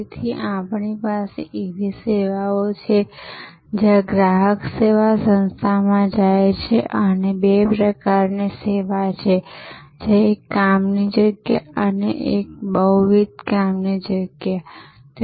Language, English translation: Gujarati, So, we have services where customer goes to the service organization and they are there are two types single site and multiple site